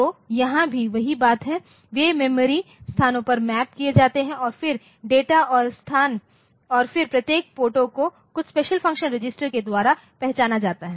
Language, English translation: Hindi, So, here also the same thing so, they are mapped onto memory locations and then data and location and then it is each port is identified by some special function register